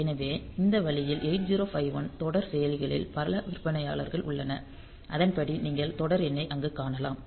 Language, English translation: Tamil, So, this way there are many vendors of this 8 0 5 1 series of processors and accordingly you can find out the you can you can see the series number there